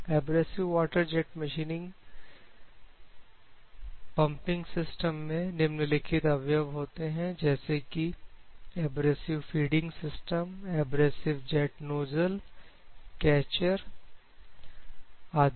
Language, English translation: Hindi, So, the elements of abrasive water jet machining pumping system, abrasive feeding system, abrasive jet nozzle, catcher, ok